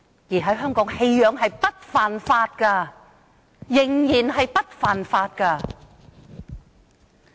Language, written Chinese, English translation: Cantonese, 在香港，棄養並非犯法，仍然不屬犯法行為。, In Hong Kong animal abandonment it is not a crime it is still not stipulated as an offence